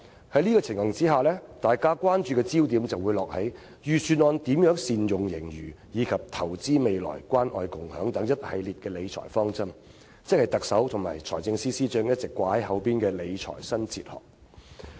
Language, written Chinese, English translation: Cantonese, 在這情況下，大家關注的焦點便落在財政預算案如何善用盈餘，以及投資未來和關愛共享等一系列理財方針，即特首和財政司司長一直掛在嘴邊的"理財新哲學"。, In the circumstances the focus of our attention is on how the Budget can make good use of the surplus and on its financial management principles of investing for the future and of caring and sharing . These are part of the new fiscal philosophy that the Chief Executive and the Financial Secretary have been talking about